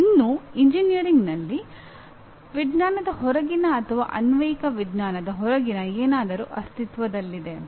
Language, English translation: Kannada, But still something in engineering that is outside science or outside applied science does exist